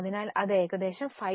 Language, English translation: Malayalam, So, it is almost a ratio of 5